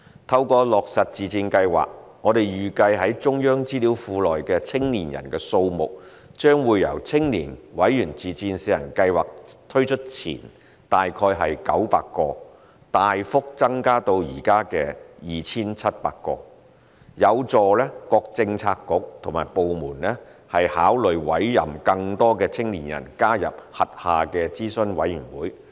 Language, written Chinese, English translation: Cantonese, 透過落實自薦計劃，我們預計中央資料庫內的青年人數目將由青年委員自薦試行計劃推出前大概900個，大幅增至現時約 2,700 個，有助各政策局和部門考慮委任更多青年人加入轄下的諮詢委員會。, Through implementation of the Self - recommendation Scheme we expect that the number of young people in the CPI database will significantly increase from around 900 before the launch of the Pilot Member Self - recommendation Scheme for Youth to around 2 700 at present thereby facilitating the bureaux and departments in considering appointing more young people to their advisory committees